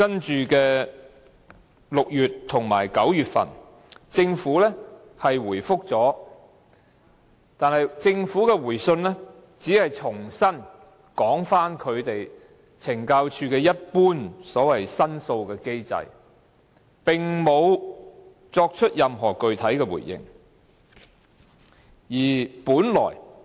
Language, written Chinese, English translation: Cantonese, 在6月和9月份，政府作出回覆，但政府的回信只是重申懲教署一般所謂申訴的機制，並無作出任何具體回應。, Then in June and September respectively there were replies from the Administration which only referred to the so - called regular complaint mechanism without specifically responding to our complaints